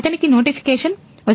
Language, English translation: Telugu, So, he will get the notification